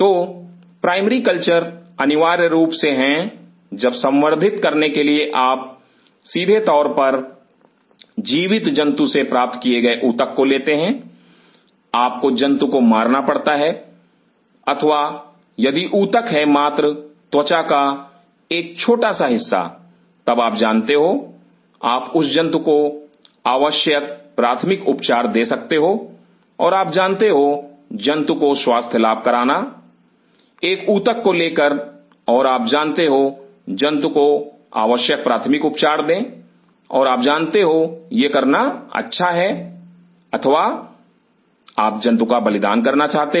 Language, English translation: Hindi, So, primary cultures are essentially when for culturing you directly derive the tissue from live animal, you have to kill animal or if the tissue is just take a small part of the skin then you can you know give the animal necessary first aid and you know and exercise the animal, take the tissue and you know give the animal necessary first aid and you know good to go or you want to sacrifice the animal